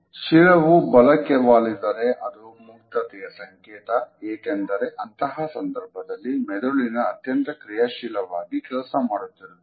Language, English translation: Kannada, If the head is tilted to the right, you will feel more open, as you are existing the creative part of the brain